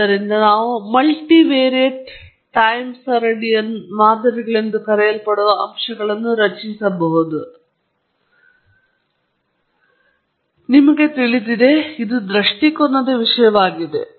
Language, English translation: Kannada, So, we can build what are known as multivariate time series models, but then, you know, it’s a matter of perspective